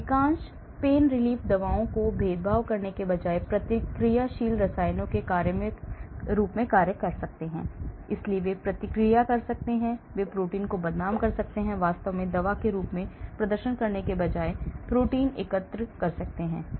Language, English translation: Hindi, most PAIN function as reactive chemicals rather than discriminating drugs, so they may be reacting, they may be denaturing the protein or aggregating the protein rather than actually performing as a drug